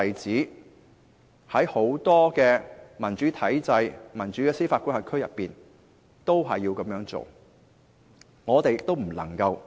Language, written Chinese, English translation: Cantonese, 在很多民主體制或司法管轄區內也有很多例子，我們也不能例外。, There are many such examples in democratic regimes or jurisdictions and the case of Hong Kong should be of no exception